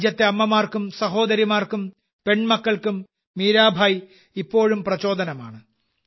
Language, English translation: Malayalam, Mirabai is still a source of inspiration for the mothers, sisters and daughters of the country